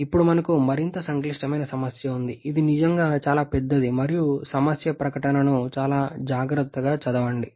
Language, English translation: Telugu, Now, we have a more complicated problem, which is the really very large and read the problem statement very, very carefully